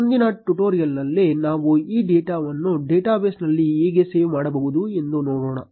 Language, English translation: Kannada, In the next tutorial, we will see how we can save this data in a database